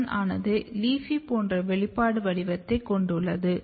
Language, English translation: Tamil, AP1 has a quite overlapping expression pattern like LEAFY